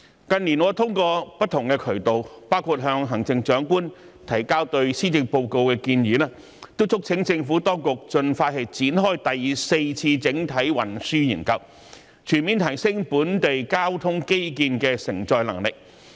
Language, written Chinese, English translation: Cantonese, 近年，我透過不同渠道，包括向行政長官提交對施政報告的建議，都促請政府當局盡快展開第四次整體運輸研究，全面提升本地交通基建的承載能力。, In recent years I have urged the Administration through various channels including submitting proposals to the Chief Executive on the policy address that the Fourth Comprehensive Transport Study be launched as soon as possible to comprehensively enhance the capacity of the local transport infrastructure